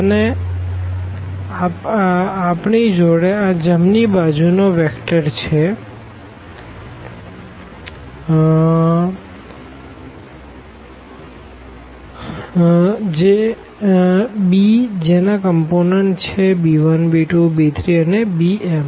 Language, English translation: Gujarati, And then we have the right hand side vector here b whose components are these b 1 b 2 b 3 and b m